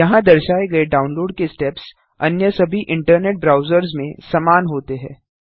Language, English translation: Hindi, The download steps shown here are similar in all other internet browsers